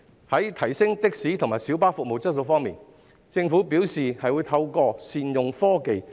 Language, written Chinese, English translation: Cantonese, 在提升的士及小巴服務質素方面，政府表示會透過善用科技進行。, On upgrading the quality of the taxi and minibus services the Government said it would be achieved by leveraging on technology